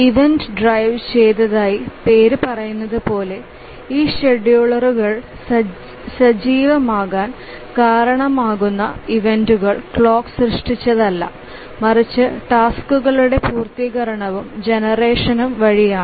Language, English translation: Malayalam, As the name says event driven, the events that are that cause this scheduler to become active are not generated by the clock but by the completion and generation of tasks